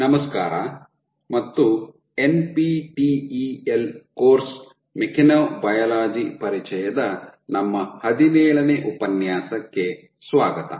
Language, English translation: Kannada, Hello and welcome to our 17th lecture of NPTEL course introduction to mechanobiology